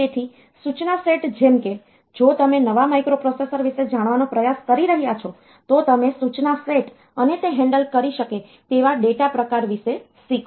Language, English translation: Gujarati, So, the instruction set like if you are trying to learn about a new microprocessor, if you learn about it is instruction set and the data type that it can handle